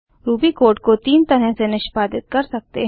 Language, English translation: Hindi, You can also run Ruby program from a file